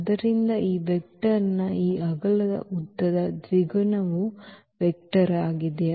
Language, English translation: Kannada, So, that is the vector this width length double of this length of this v